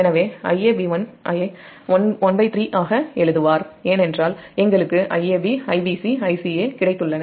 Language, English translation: Tamil, so i a b one will write one third because we have got i a, b, i b, c, i c a